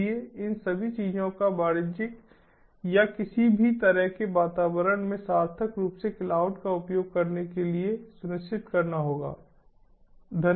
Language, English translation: Hindi, so these, all these things have to be ensured in order to meaningfully use cloud in a commercial or any any kind of environment